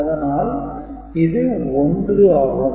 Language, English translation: Tamil, So, this is 2